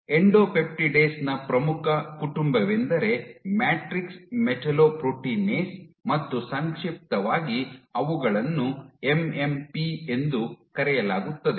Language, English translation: Kannada, One of the most prominent family of you know endopeptidase is Matrix Metalloproteinase, in short, they are referred to as MMPs